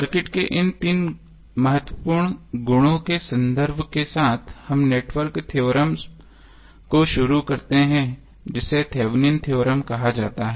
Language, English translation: Hindi, So with the reference of these three important properties of the circuit let us start the network theorem which is called as thevenins theorem